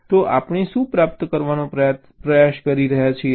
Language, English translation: Gujarati, ok, so what we are trying to achieve